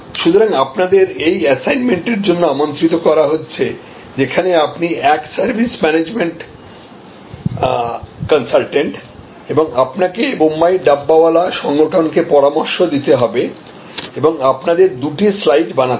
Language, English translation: Bengali, So, on behalf, you are invited to this assignment therefore, you are a service management consultant and you are to advice the Bombay Dabbawala organization, we do two slides